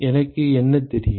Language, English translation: Tamil, What does do I know